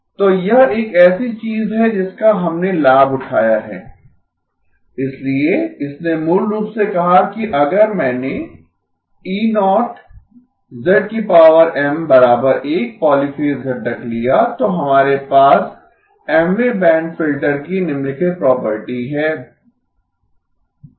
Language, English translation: Hindi, So this is something that we leveraged, so this basically said that if I took the polyphase component E0 z power Mm that as 1, then we have the following property of an Mth band filter